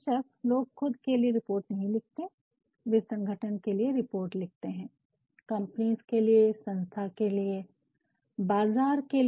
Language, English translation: Hindi, Of course, people do not write reports for their own, they write reports for organizations, for companies, for institutions, fine for markets fine